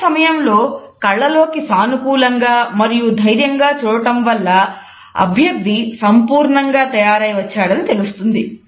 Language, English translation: Telugu, At the same time making eye contact in a positive and confident manner sends the message that the candidate is fully prepared